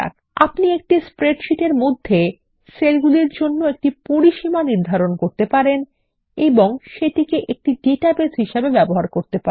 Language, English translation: Bengali, You can define a range of cells in a spreadsheet and use it as a database